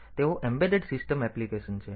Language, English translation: Gujarati, So, they are embedded system application